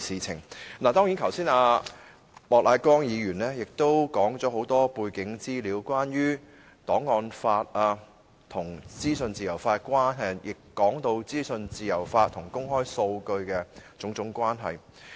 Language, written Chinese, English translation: Cantonese, 莫乃光議員剛才已說出很多背景資料，關於檔案法和資訊自由法的關係，以及資訊自由法和公開數據的種種關係。, Mr Charles Peter MOK mentioned just now a lot of background information concerning the relationship between the archives law and the legislation on freedom of information as well as various relationships between freedom of information and disclosure of data